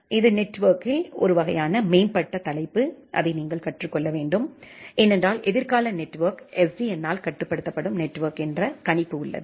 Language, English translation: Tamil, This is a kind of advanced topic in network and you should learn that because, people predict that our future network is going to be SDN controlled